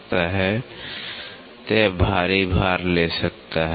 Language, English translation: Hindi, So, it can take heavier loads